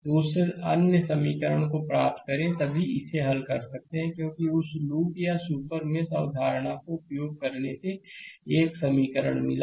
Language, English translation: Hindi, So, get that other equation then only I can solve it because using that loop or super mesh concept I got one equation